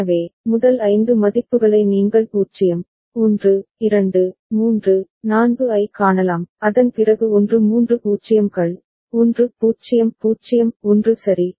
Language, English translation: Tamil, So, the first 5 values you can see 0, 1, 2, 3, 4, after that what has come 1 three 0’s, 1 0 0 1 ok